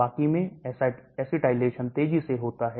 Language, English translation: Hindi, Rest are rapid acetylaters